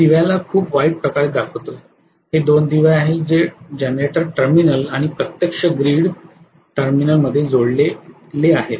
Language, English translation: Marathi, I am showing the lamp pretty badly, this is 2 lamps we connect in between the generator terminal and the actual, the grid terminal